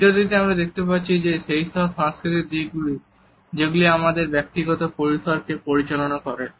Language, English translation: Bengali, In this particular video, we can look at the cultural aspects which govern our personal space